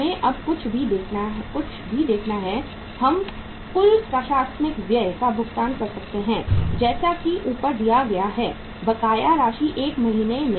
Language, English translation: Hindi, We have to see now the uh something like anything which we can pay total administrative expense is paid as above, 1 month in arrears